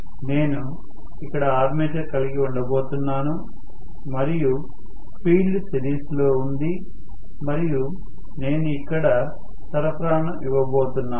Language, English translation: Telugu, So I am going to have armature here, and the field is in series and I am going to apply a supply here